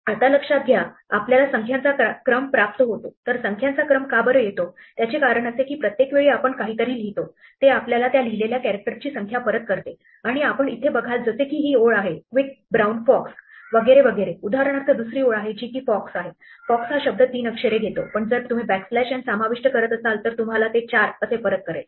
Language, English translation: Marathi, Now, notice you get the sequence of numbers why do we get a sequence of numbers that is because each time we write something it returns a number of character written and it will turn out, if you look at the lines quick brown fox, etcetera, for example, the second line is just fox, fox has three letters, but if you include the backslash n its wrote 4 letters